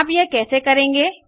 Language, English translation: Hindi, How do you do this